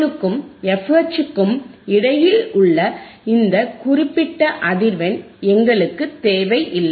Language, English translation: Tamil, We do not require this particular the frequency between FL and FH